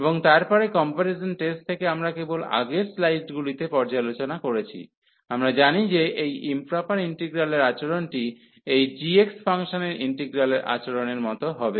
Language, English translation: Bengali, And then from the comparison test, we have just reviewed in previous slides, we know that the behavior of this integral this improper integral will be the same as the behavior of the integral over this g x function